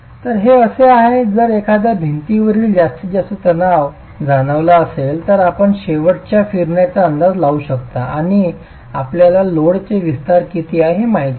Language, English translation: Marathi, So this is, if for a given load, the maximum stress in a wall can be known if you can make an estimate of the end rotations and you know the excensity of the load